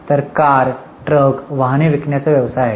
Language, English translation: Marathi, So, selling cars, trucks, vehicles is their business